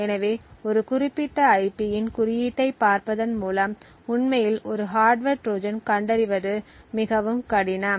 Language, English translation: Tamil, So, therefore just by actually looking at the code of a particular IP, it is very difficult to actually detect the presence of a hardware Trojan